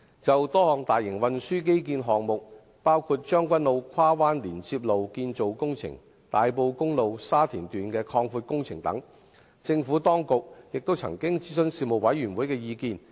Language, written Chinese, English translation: Cantonese, 就多項大型運輸基建項目，包括將軍澳跨灣連接路─建造工程、大埔公路擴闊工程等，政府當局也曾諮詢事務委員會的意見。, The Administration had consulted the Panel on a number of major transport infrastructural projects including Cross Bay Link Tseung Kwan O―Construction and widening of Tai Po Road